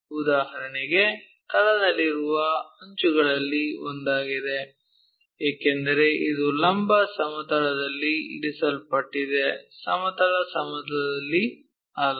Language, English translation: Kannada, For example, one of the edge on the base, because this is the one, which is placed on this vertical plane, no horizontal plane